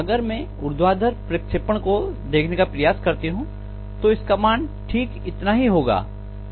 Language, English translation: Hindi, So if I try to look at the vertical projection it will exactly have this value